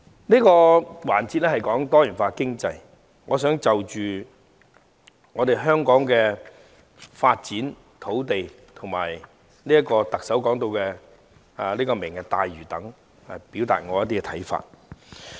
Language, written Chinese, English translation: Cantonese, 這個環節的主題是"多元經濟"，我想就香港的土地發展和特首提出的"明日大嶼"等表達一些看法。, The theme of this session is Diversified Economy . I wish to express some views on the land development of Hong Kong Lantau Tomorrow proposed by the Chief Executive etc